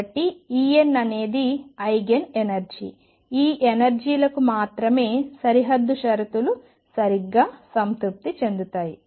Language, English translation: Telugu, So, E n is an Eigen energy, it is only for these energies that the boundary conditions is satisfied properly